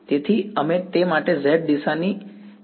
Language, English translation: Gujarati, So, we do not care about the z direction for that right